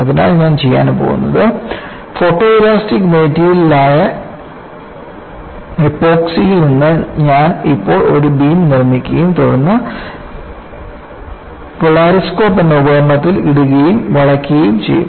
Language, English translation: Malayalam, So, what I am going to do is I will now make a beam out of Epoxy which is a photoelastic material, and then put it in an equipment called the polar scope, and bend it